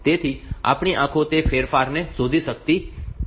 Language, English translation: Gujarati, So, our eyes will not be able to change even locate that changes